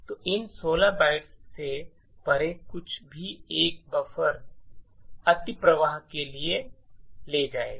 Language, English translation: Hindi, So, anything beyond these 16 bytes would lead to a buffer overflow